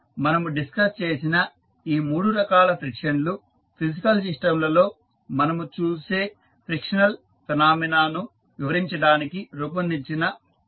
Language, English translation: Telugu, Now, these three types of frictions which we have just discussed are considered to be the practical model that has been devised to describe the frictional phenomena which we find in the physical systems